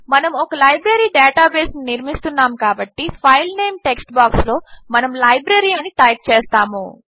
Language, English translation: Telugu, Since we are building a Library database, we will type Library in the File Name text box